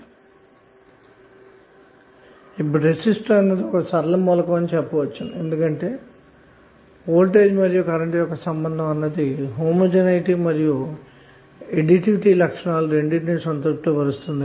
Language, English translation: Telugu, Now we say that a resistor is a linear element why because the voltage and current relationship of the resistor satisfy both the homogeneity and additivity properties